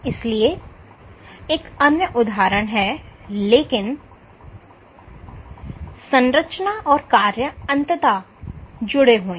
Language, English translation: Hindi, So, this is another example, but structure and function are intimately linked